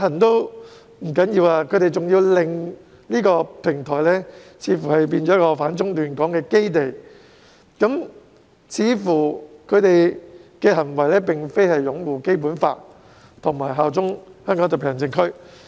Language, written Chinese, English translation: Cantonese, 除此之外，他們似乎甚至想令這平台成為反中亂港的基地，其行為似乎無法反映出他們擁護《基本法》及效忠香港特區。, Besides they seemingly want to turn this platform into a base for opposing China and stirring up trouble in Hong Kong . Their conduct has seemingly failed to show that they uphold the Basic Law and bear allegiance to the Hong Kong Special Administrative Region